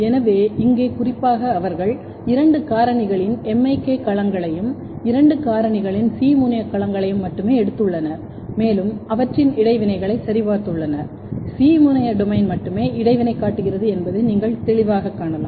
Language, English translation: Tamil, So, here specifically they have taken only MIK domains of both the factors and C terminal domains of both the factor and they have checked the interaction, you can clearly see that only C terminal domain are interaction showing interaction